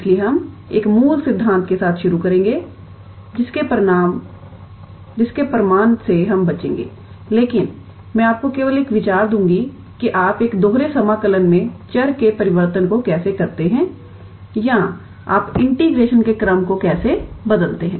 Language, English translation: Hindi, So, we will start with a basic theory, the proof of which we will avoid, but I will just give you an idea that how you do the change of variables in a double integral or how you change the order of integration